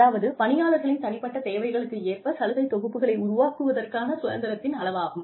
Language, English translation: Tamil, And, this is the degree of freedom, an employee has, to tailor the benefits package, to their personal needs